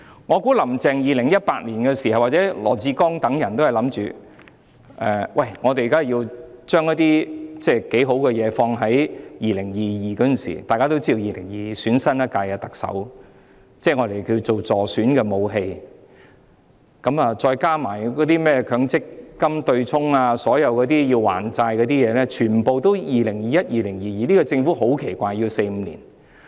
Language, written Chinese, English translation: Cantonese, 我估計在2018年，當時"林鄭"及羅致光等人均認為要將一些不錯的措施編排在2022年——大家都知道 ，2022 年將舉行新一屆特首選舉——可以作為所謂助選的武器，再加上取消強積金對沖安排，所有需要"還債"的項目全部都編排在2021年、2022年實行。, I surmise that in 2018 Carrie LAM and LAW Chi - kwong et al all considered it necessary to schedule some desirable measures to be introduced in 2022―people all know that the election of the new Chief Executive will be held in 2022―as the so - called electioneering weapons . Together with the abolition of the offsetting arrangement of the Mandatory Provident Fund System all items that involve debts to be settled have been scheduled for implementation in 2021 and 2022